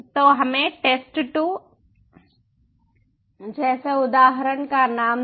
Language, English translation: Hindi, so lets give the name of the instance, like test two